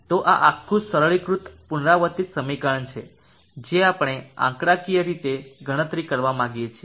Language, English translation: Gujarati, So this is the entire simplified iterative equation that we would like to numerically compute